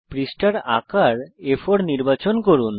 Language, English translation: Bengali, Select the Paper Size as A4